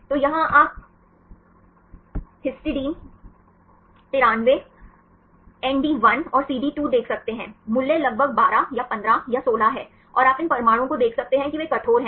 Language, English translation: Hindi, So, here you can see the histidine 93 ND1 and the CD2, the value is around 12 or 15 or 16, and you can see these atoms they are rigid